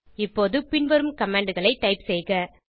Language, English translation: Tamil, Now type the following commands